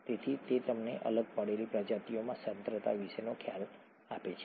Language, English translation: Gujarati, So, that gives you an idea as to the concentration of the species that is dissociated